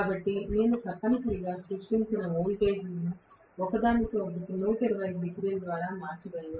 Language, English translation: Telugu, So, I am going to have essentially the voltages created which are shifted from each other by 120 degrees